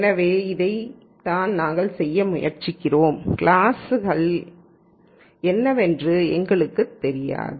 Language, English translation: Tamil, So, this is what we are trying to do, we do not know what the classes are